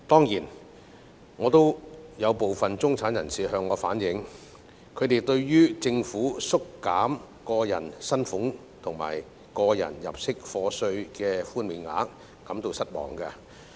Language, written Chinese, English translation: Cantonese, 有部分中產人士向我反映，他們對於政府縮減個人薪俸稅及個人入息課稅的寬免額感到失望。, Some middle - class people have reflected to me their disappointment at the tax reduction proposed by the Government for salaries tax and tax under personal assessment